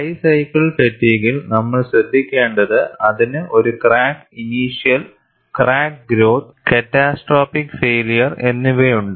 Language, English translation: Malayalam, We are going to pay attention on high cycle fatigue, which has a crack initiation, crack growth, and then finally catastrophic failure